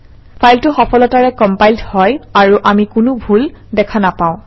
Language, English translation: Assamese, The file is successfully compiled as we see no errors